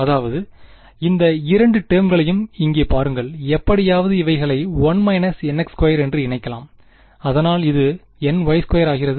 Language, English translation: Tamil, So, look at these; look at these two terms over here, can may be combined somehow its 1 minus n x squared in 2 something, so that becomes n y squared